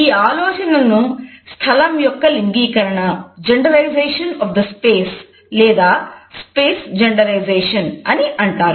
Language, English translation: Telugu, This idea is known as genderization of the space or space genderization